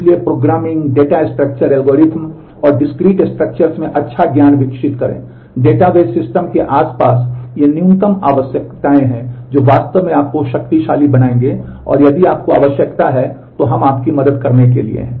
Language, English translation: Hindi, So, develop good knowledge in programming data structure, algorithms and discrete structures; these are the minimum required around the database systems which will really make you powerful and if you need we are there to help you